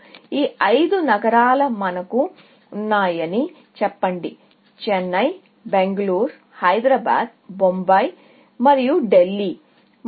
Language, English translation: Telugu, Let us say, we have these five cities; Chennai, Bangalore, Hyderabad, Bombay and Delhi and